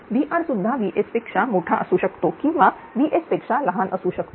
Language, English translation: Marathi, VR also maybe greater than VS or less than VS either way it is true